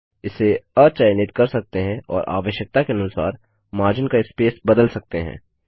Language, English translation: Hindi, One can uncheck it and change the margin spacing as per the requirement